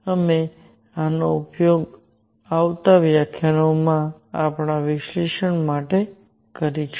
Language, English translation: Gujarati, We will use these for our analysis in coming lectures